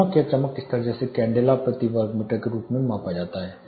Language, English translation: Hindi, The unit for measurement of luminance is candela per meter square